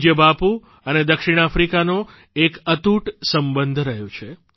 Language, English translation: Gujarati, Our revered Bapu and South Africa shared an unbreakable bond